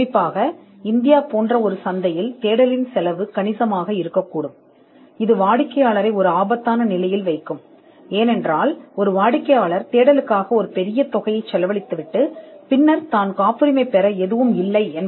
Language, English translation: Tamil, And especially, in a market like India, where the cost of search can be substantial, it would put the client in a precarious position, because a client would end up expending a huge amount of money for the search and then later on could eventually realize that there was nothing to patent at all